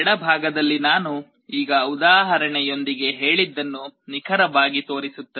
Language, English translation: Kannada, On the left hand side it shows exactly what I just now told with the example